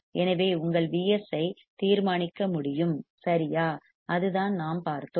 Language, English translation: Tamil, So, that your V s can be determined correct that is what we have seen